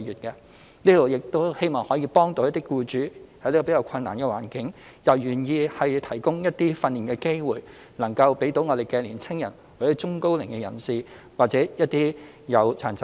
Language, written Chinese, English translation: Cantonese, 這是希望幫助僱主，使他們在此較困難的環境下亦願意提供一些訓練機會予年輕人、中高齡人士或殘疾人士就業。, It aims to help employers such that they will still be willing to provide some training opportunities for young people the elderly and middle - aged or people with disabilities to secure employment under relatively difficult circumstances